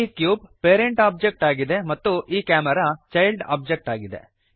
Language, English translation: Kannada, The cube is the parent object and the camera is the child object